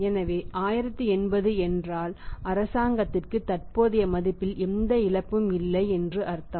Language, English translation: Tamil, So it means there is no loss of present value to the government 1080 means 1080